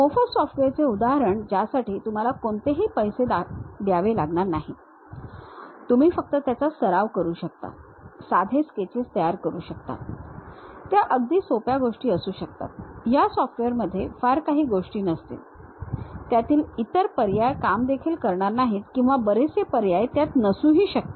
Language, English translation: Marathi, Example free software you do not have to pay any money, you can just practice it, construct simple sketches, they might be very simple things, they might not have very big objects, they may not be supporting other things and many options might be missing, but still it is a good step to begin with that